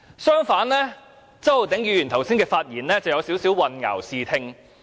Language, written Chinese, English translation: Cantonese, 相反地，周議員剛才的發言有點兒混淆視聽。, On the contrary the remarks made by Mr CHOW just now were kind of a red herring